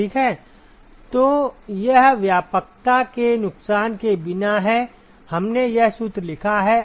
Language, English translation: Hindi, So, this is without loss of generality, we have written this formula